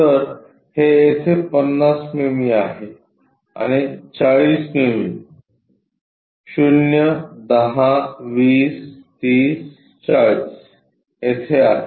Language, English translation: Marathi, So, 50 mm is this one and 40 mm 0 10 20 30 40 somewhere here